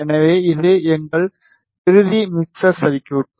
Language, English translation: Tamil, So, this is our final mixer circuit